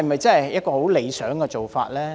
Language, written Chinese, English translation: Cantonese, 這是否理想的做法呢？, Is this a desirable approach?